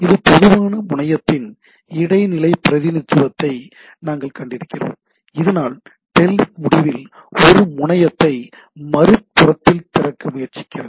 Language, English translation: Tamil, So, as we have seen intermediate representation of a generic terminal, so that it shows because telnet at the end you are trying to open up a terminal at the other end right